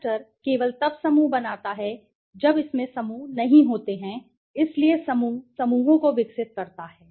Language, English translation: Hindi, Cluster only creates groups when it has not there right so cluster uncovers groups it develops the groups